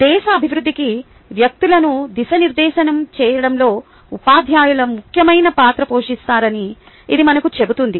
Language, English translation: Telugu, it tells us that teachers plays such an important role in molding persons for development of the country